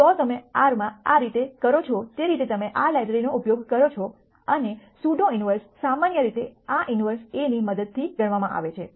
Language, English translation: Gujarati, So the way you do this in R is you use this library and the pseudo inverse is usually calculated using this g inverse a